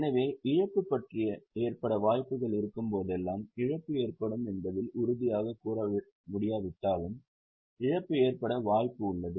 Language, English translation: Tamil, So, whenever there is a likelihood of a loss, there is no certainty that loss will arise, but there is a chance that there will be a loss